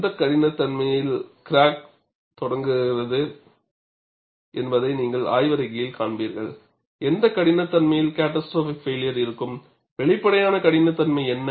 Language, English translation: Tamil, So, you will find in the literature, what is the toughness at which crack initiates; what is the toughness at which it has a catastrophic failure; and what is the apparent toughness